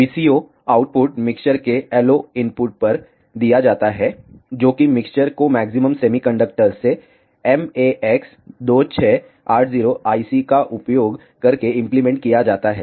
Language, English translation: Hindi, The VCO output is given at the yellow input of the mixer the mixture is implemented using a MAX 2680 IC from maximum semiconductors